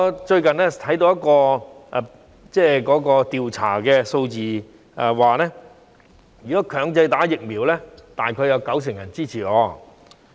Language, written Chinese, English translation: Cantonese, 最近，我看到一項調查的數字顯示，如果強制注射疫苗，大約有九成人支持。, I notice from the findings of a recent survey that roughly 90 % of the respondents were in support of mandatory vaccination